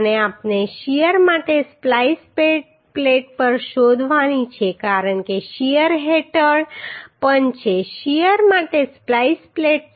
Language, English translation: Gujarati, And we have to also find out splice plate for shear because it is under shear also spliced plate for shear right